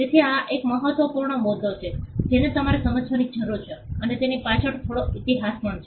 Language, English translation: Gujarati, So, this is a critical point that you need to understand, and it has some history behind it